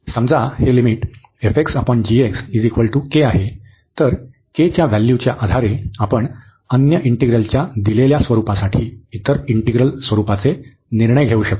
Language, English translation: Marathi, Suppose, this limit is coming to be k, then based on the value of k we can decide the nature of the integral for the given nature of the other integral